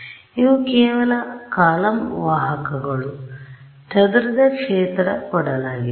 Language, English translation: Kannada, So, these are just column vectors; what is given to me is the scattered field right